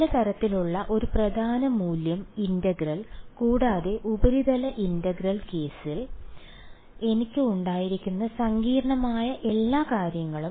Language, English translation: Malayalam, Some kind of a principal value integral and all of those complicated things which I had in the surface integral case